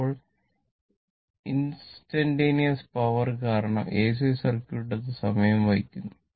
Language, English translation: Malayalam, Now, instantaneous power because, AC circuit it is time bearing